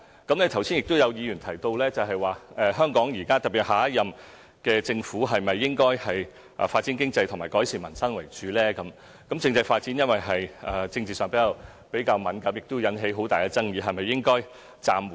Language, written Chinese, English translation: Cantonese, 剛才有議員提到香港現在是否應該以發展經濟和改善民生為主？政制發展由於在政治上比較敏感，亦會引起很大的爭議，是否應該暫緩呢？, Just now a Member raised the question whether the Hong Kong Government especially the Government of the next term should focus on economic development and improve the livelihood of the people and whether the constitutional development should be postponed because it is politically sensitive and will arouse much controversy